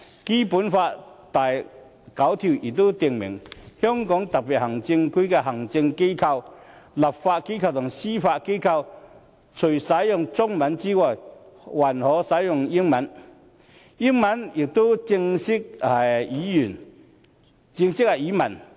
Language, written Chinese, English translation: Cantonese, 《基本法》第九條亦訂明："香港特別行政區的行政機關、立法機關和司法機關，除使用中文外，還可使用英文，英文也是正式語文。, Article 9 of the Basic Law also states that In addition to the Chinese language English may also be used as an official language by the executive authorities legislature and judiciary of the Hong Kong Special Administrative Region